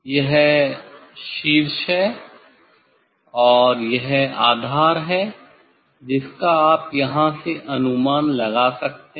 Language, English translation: Hindi, this is the apex, and this is the base you can guess from here